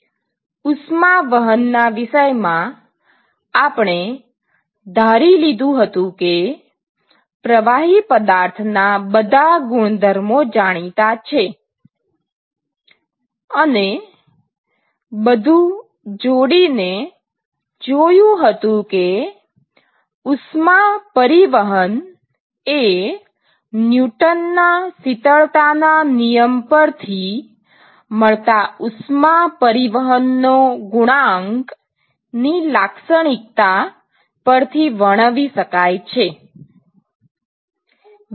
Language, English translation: Gujarati, So, so far what we looked at is we assumed we knew all the properties of the liquid, and we lumped everything and we said heat transport is characterized by the heat transport coefficient given by Newton’s law of cooling right